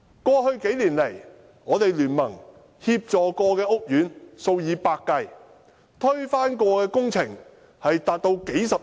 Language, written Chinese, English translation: Cantonese, 過去幾年來，大聯盟曾協助的屋苑數以百計，曾推翻的工程涉款高達數十億元。, Over the past few years the Alliance has assisted hundreds of housing estates and the amount involved in the scuttled projects reached billions of dollars